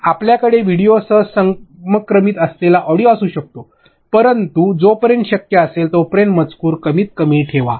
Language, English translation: Marathi, You can have audio which is in sync with the video, but as far as possible keep the text minimal